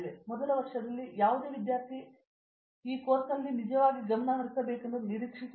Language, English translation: Kannada, Any students in the first year we expect them to really focus on this core